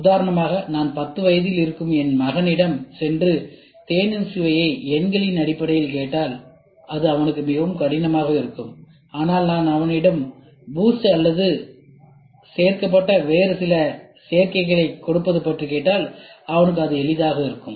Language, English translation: Tamil, So, we can try to do; for example, if I go show ask my son who is in 10 years old to have a taste of tea and try to give the taste of the tea in terms of numbers which will be very difficult, but if I ask him to give for boost it will be it will be easy he will give the boost or some other additive which is added